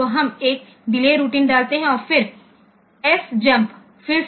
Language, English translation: Hindi, So, we put a delay routine and then SJMP again